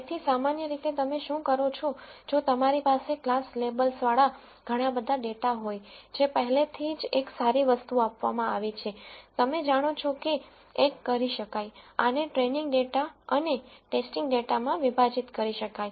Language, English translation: Gujarati, So, typically what you do is if you have lots of data with class labels already given one of the good things, you know that one should do is to split this into training data and the test data